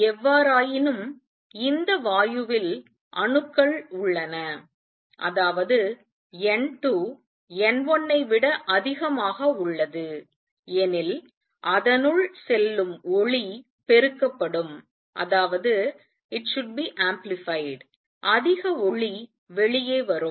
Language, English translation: Tamil, Consider the possibility however, that this gas has atoms such that N 2 is greater than N 1 then light which is going in will get amplified; more light will come out